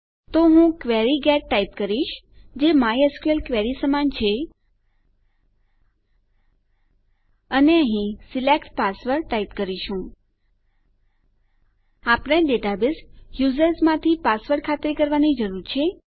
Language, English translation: Gujarati, mysql query and here we will type SELECT password We need to ascertain the password from the database users